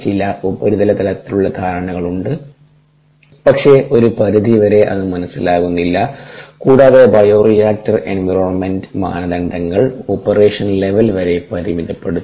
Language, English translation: Malayalam, to a great extent some surface level understanding is there but to a great extent its not understood and ah the bioreactor environment parameter operation level is limited to that